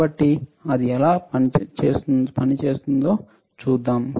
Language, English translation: Telugu, So, let us see; it is working